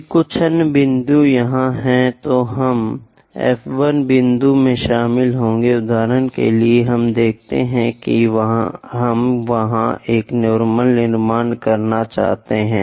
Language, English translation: Hindi, If some other point here then we will join F 1 point, for example, let us look at we would like to construct a normal there